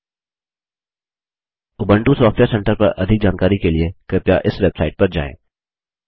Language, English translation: Hindi, For more information on Ubuntu Software Centre,Please visit this website